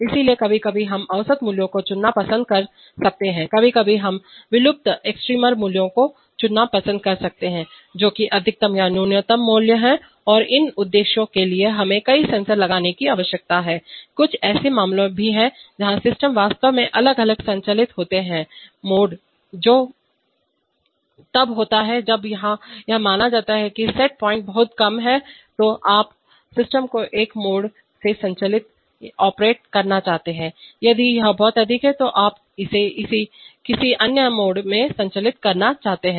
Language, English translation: Hindi, So sometimes we may we may like to choose average values, sometimes we may like to choose extremer values, that is maximal or minimal values and for these purposes we need to put multiple sensors, there are also some cases where systems are actually operated in different modes that is when it is in suppose the set point is very low then you want to operate the system in one mode, if it is very high you want to operate it in another mode